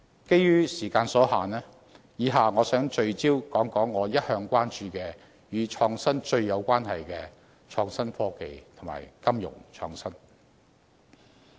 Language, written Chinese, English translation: Cantonese, 基於時間所限，以下我想聚焦談談我一向關注，與"創新"最有關係的創新科技及金融創新。, As time is limited I would like to focus on two topics about which I have always been concerned and are most relevant to innovation that is innovation and technology and financial innovation